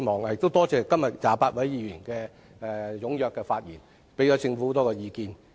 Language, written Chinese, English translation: Cantonese, 我感謝28位議員踴躍發言，給予政府很多意見。, I thank 28 Members for speaking actively on this subject and providing many views to the Government